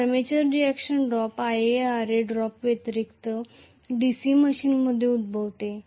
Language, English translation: Marathi, So, the armature reaction drop occurs in a DC machine in addition to Ia Ra drop